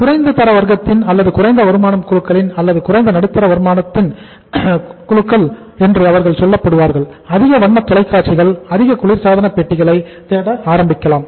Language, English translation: Tamil, People who are say in the in the lower classes or lower income groups or maybe the lower middle income groups, they may start looking for more two wheelers, more colour TVs, more refrigerators